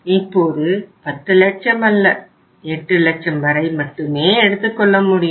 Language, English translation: Tamil, It will not be now 1 lakh you can only withdraw up to 8 lakh rupees